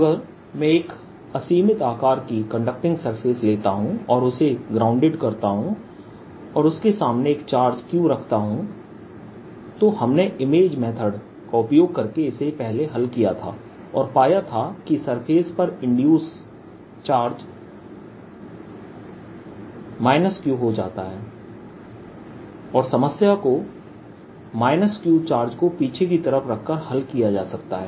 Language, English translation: Hindi, part of it all about earlier is that if i take a conducting surface, infinitely large conducting surface, grounded it and put a charge q in front of it, we solved this early using the image method and found out that the charge induced on the surface becomes exactly minus q and the problem can be solved by putting a charge minus q in the back side so that the potential on the conductor becomes zero